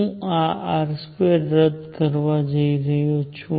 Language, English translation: Gujarati, I am going to cancel this r square